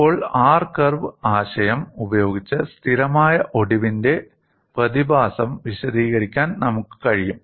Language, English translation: Malayalam, And now with the R curve concept, it is possible for us to explain the phenomenon of stable fracture